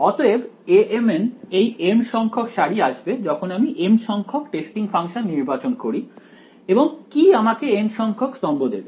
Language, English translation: Bengali, So, A m n the mth row will come when I choose the mth testing function right and what will give me the nth column